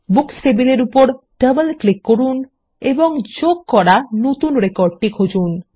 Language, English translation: Bengali, Let us double click on the Books table and look for the new record we just inserted